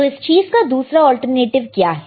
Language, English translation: Hindi, So, what is the alternative to this